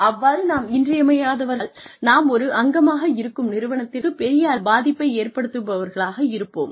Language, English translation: Tamil, And, if we become indispensable, we end up doing a massive disservice to the organization, that we are a part of